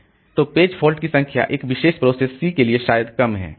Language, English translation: Hindi, So, that way the number of page faults that a particular process is maybe low